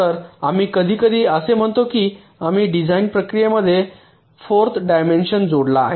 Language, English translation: Marathi, so we sometime say that we have added a fourth dimension to the design process